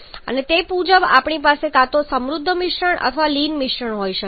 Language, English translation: Gujarati, And accordingly we can have either a rich mixture or a lean mixture